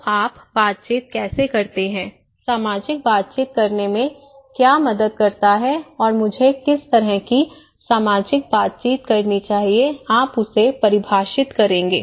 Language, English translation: Hindi, So, how do you make interactions, what helps to make social interactions and what kind of social interactions I should do; you will define that one